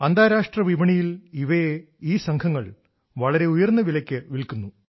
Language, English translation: Malayalam, These gangs sell them at a very high price in the international market